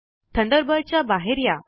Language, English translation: Marathi, Thunderbird window opens